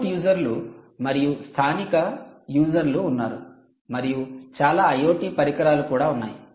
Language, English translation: Telugu, you have remote users, you have local users here, you have a lot of i o t devices